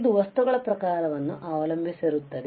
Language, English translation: Kannada, It depends on the type of material